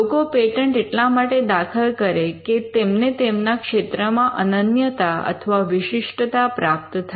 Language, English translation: Gujarati, Now the reason why people file patents are to get a exclusivity in the field